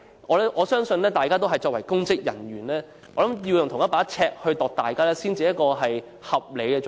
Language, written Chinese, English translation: Cantonese, 我相信，大家作為公職人員，要用同一把尺來量度他人才是合理做法。, I believe as public officers it is only reasonable to measure other people using the same yardstick